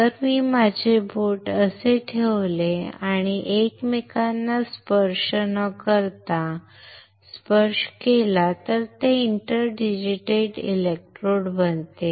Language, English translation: Marathi, If I put my finger like this and without touching without touching each other it becomes an inter digitated electrodes